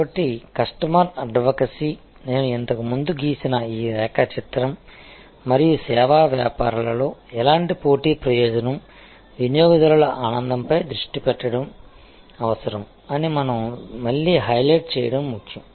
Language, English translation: Telugu, So, customer advocacy, this diagram I have drawn before and it is important that we highlight it again that in service businesses any kind of competitive advantage needs to stay focused on customer delight